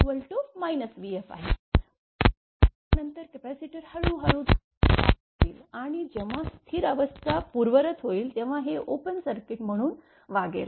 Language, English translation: Marathi, But after that capacitor will be slowly your charge and when it is when it will restore the steady state that this will behave as an open circuit